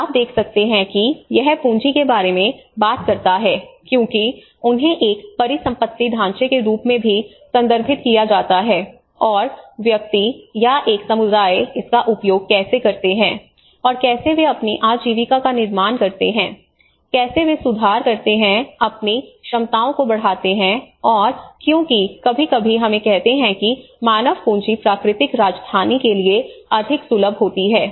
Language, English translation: Hindi, And you can see that it talks about the capital because they are referred as an asset framework as well and how the individual or a community, how they use, they, I would say like how they construct their livelihoods you know how they improved, enhance their capacities and because sometimes let us say the human capital is more accessible for them sometimes the natural capital